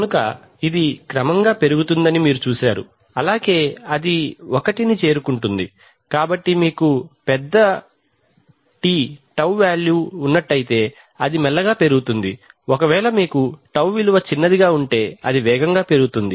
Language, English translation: Telugu, So you see that it will gradually rise and then it will become one, so if you have a, if you have a large τ if you have a large τ it will rise slowly if you have a small τ it will rise fast, so this is τ decreasing right